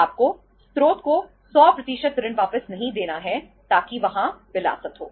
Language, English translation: Hindi, You are not to pay the 100% loan back to the source so that that luxury is there